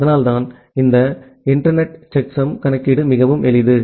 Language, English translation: Tamil, So that is why this internet checksum computation is fairly simple